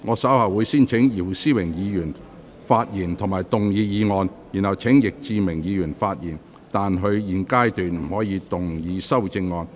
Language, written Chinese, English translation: Cantonese, 稍後我會先請姚思榮議員發言及動議議案，然後請易志明議員發言，但他在現階段不可動議修正案。, Later I will first call upon Mr YIU Si - wing to speak and move the motion . Then I will call upon Mr Frankie YICK to speak but he may not move the amendment at this stage